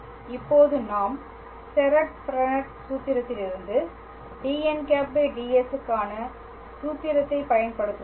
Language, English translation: Tamil, And now we will use the formula for dn ds from Serret Frenet formula